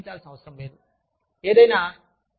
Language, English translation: Telugu, They do not have to pay, anything